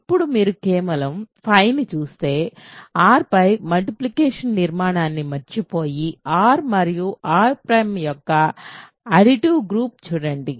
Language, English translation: Telugu, Then, if you simply look at phi forget the multiplicative structure on R in other words just look at the additive group of R and R prime